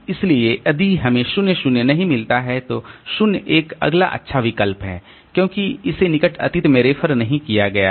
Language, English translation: Hindi, So, if we do not find 0 0, then 0 1 is the next good option because it has not been referred to in near past